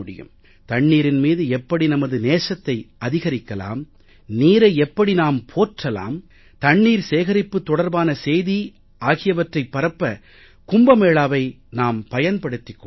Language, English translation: Tamil, We should use each Kumbh Mela to make people aware of how we can increase our value for water, our faith in water; how we can spread the message of water conservation